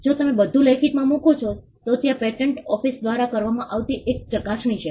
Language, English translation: Gujarati, If you put everything in writing, there is a scrutiny that is done by the patent office